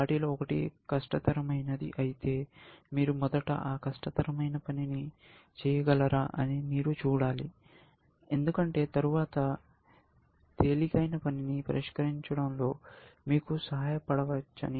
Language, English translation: Telugu, If one of them is harder, then you should see whether, you can do that harder thing first, because then, you hope of help solving easier thing later, essentially